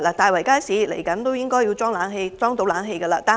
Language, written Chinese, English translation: Cantonese, 大圍街市即將安裝冷氣系統，但西貢市中心街市又如何？, Tai Wai Market will be installed with an air - conditioning system soon but what about the market in Sai Kung Town?